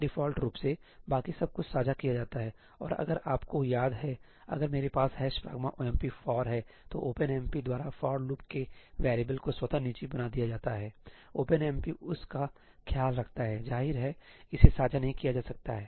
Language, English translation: Hindi, Everything else, by default, is shared and if you remember, if I have a ëhash pragma omp forí , the variable of the for loop is automatically made private by OpenMP ; OpenMP takes care of that; obviously, it cannot be shared